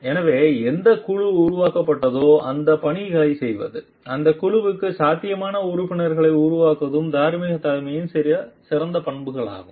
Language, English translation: Tamil, So, carrying out those tasks for which the group was created so developing potential members for the group these are like some qualities of moral leadership